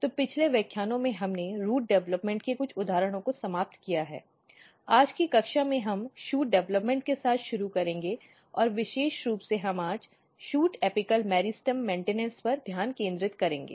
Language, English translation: Hindi, So, in previous lectures we have finished some of the example of root development, today’s class we will start with Shoot Development and particularly we will focus today on Shoot Apical Meristem Maintenance